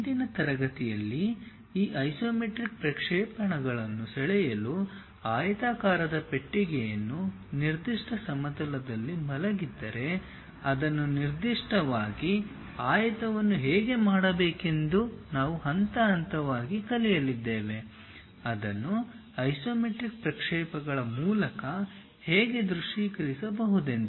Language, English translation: Kannada, If a rectangular box is given to draw these isometric projections in today's class we are going to learn step by step how to do those especially a rectangle if it is lying on particular plane how it can be visualized through isometric projections